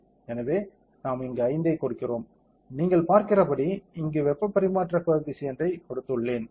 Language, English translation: Tamil, So, we give 5 here, I have given the heat transfer coefficient here as you can see